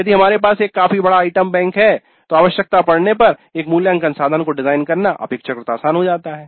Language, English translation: Hindi, If you have a reasonably large item bank then it becomes relatively simpler to design an assessment instrument when required